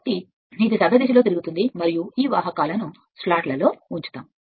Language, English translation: Telugu, So, it will rotate in the clockwise direction and this conductors are placed in a slots